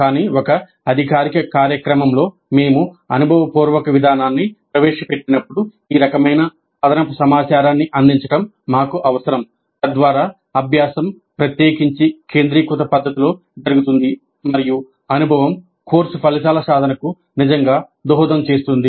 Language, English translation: Telugu, In the traditional model this was not emphasized but in a formal program when we introduced experiential approach it is necessary for us to provide this kind of additional information so that learning occurs in a particularly focused manner and the experience really contributes to the attainment of the course outcomes